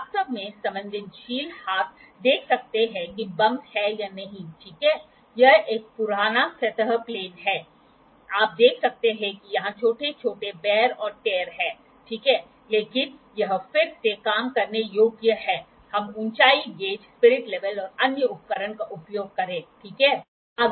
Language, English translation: Hindi, actually the hands sensitive hand can see whether there are bumps or not, ok, this is an old surface plane, you can see there is small wear and tear here, ok, but this is again workable we will use height gauge, spirit level and other instrument on the surface plate, ok